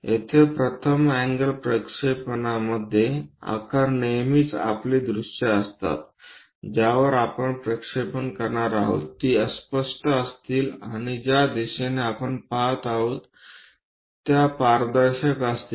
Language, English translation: Marathi, Here, in the first angle projection size always be our the views on which we are going to project, those will be opaque and the direction through which we are going to see will be transparent